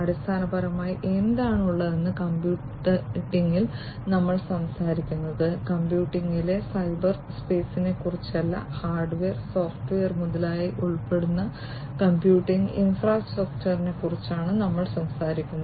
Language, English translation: Malayalam, So, basically in computing what is there is we are talking about not only the cyberspace in computing, we talk about the computing infrastructure which includes hardware, software etc